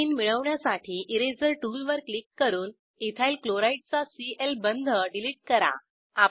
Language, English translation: Marathi, To obtain Ethene, click on Eraser tool and delete Cl bond of Ethyl chloride